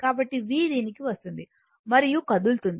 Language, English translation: Telugu, So, v will come to this and I will move